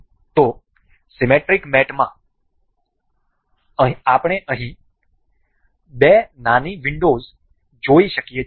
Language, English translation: Gujarati, So, in the symmetric mate, we can see here two little windows